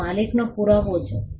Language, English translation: Gujarati, It is proof of ownership